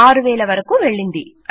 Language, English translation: Telugu, There you go up to 6000